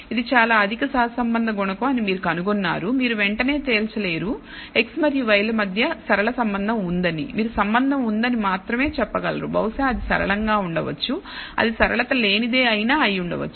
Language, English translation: Telugu, You find it is a very high correlation coefficient you cannot immediately conclude there is a linear relationship between x and y, you can only say there is a relationship perhaps it is linear may be it is even non linear we have to explore further